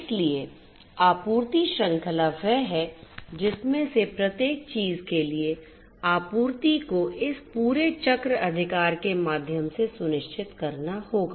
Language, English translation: Hindi, So, supply chain comes because ultimately you know for each of these things the supply will have to be ensured through this entire cycle right